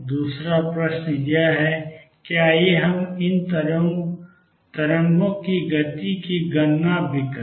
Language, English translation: Hindi, The other question is let us also calculate the speed of these waves